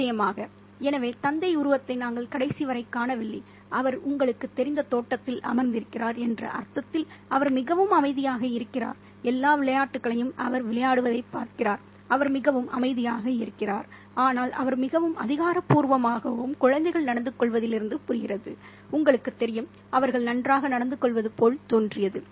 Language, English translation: Tamil, So we don't see the father figure until the very end and he's quite silent in the sense that he just sits on the garden and he just sees all the games being played out and he's very silent but he's very authoritative as well in the sense that the children behave you know they seem to behave really well